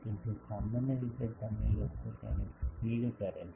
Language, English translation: Gujarati, So, generally you people feed it that this